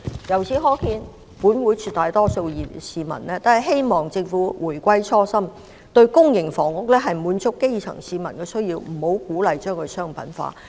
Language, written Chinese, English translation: Cantonese, 由此可見，本會絕大多數議員和市民均希望政府回歸初心，將公營房屋用於滿足基層市民需要，而不要鼓勵把它商品化。, It is clear that most Members of this Council and the general public hope that the Government will return to the original intent of allocating PRH units to meet the needs of the grass roots instead of turning the units into commodities